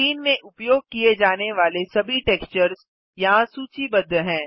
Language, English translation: Hindi, All textures used in the Scene are listed here